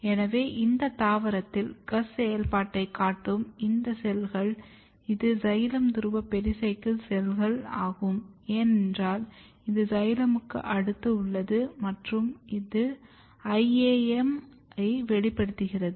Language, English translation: Tamil, So, you can see that these cells which is showing basically GUS activity it is xylem pole pericycle cell, because it is next to the xylem and it has this iaaM expressing iaaM